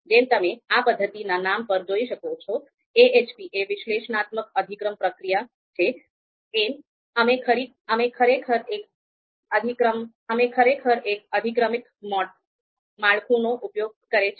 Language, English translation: Gujarati, So if as you would see in the name of this particular method AHP that is Analytic Hierarchy Process, we actually use hierarchical structure there